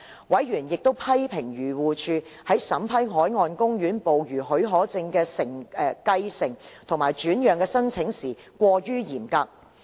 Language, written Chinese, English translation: Cantonese, 委員亦批評漁護署在審批海岸公園捕魚許可證的繼承或轉讓的申請時過於嚴格。, Members have also criticized AFCD for being too stringent in vetting and approving applications for the succession or transfer of marine park fishing permits